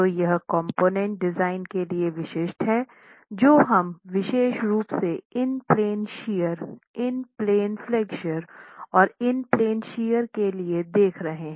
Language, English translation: Hindi, So this is specific to component design that we'll be looking at, particularly for in plain shear, in plain flexure and in plain shear